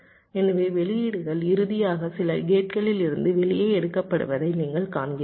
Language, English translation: Tamil, so which means, you see, the outputs are finally taken out from some gates